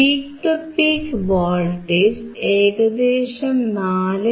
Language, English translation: Malayalam, The peak to peak voltage is almost 4